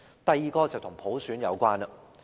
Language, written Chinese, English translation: Cantonese, 第二，是與普選有關。, The second one is related to universal suffrage